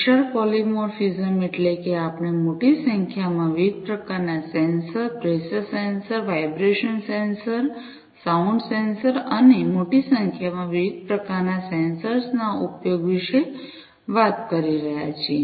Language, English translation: Gujarati, Massive polymorphism means, we are talking about the use of large number of different types of sensors, pressure sensors, vibration sensors, sound sensors, and large number of different types of sensors could be used